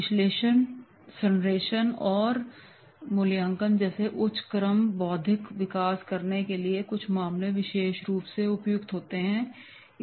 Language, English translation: Hindi, Cases may be especially appropriate for developing higher order intellectual skills such as analysis, synthesis and evaluation